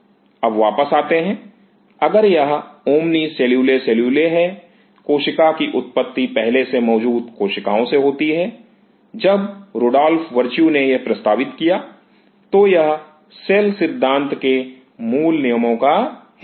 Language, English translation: Hindi, Now, coming back if it is omni cellule cellule; cell arises from the pre existing cell by Rudolf Virtue, when he proposed this, it just part of the basic principles of cell theory